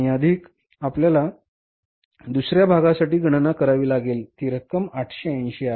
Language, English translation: Marathi, And plus we will have to find out that is 880 for the second part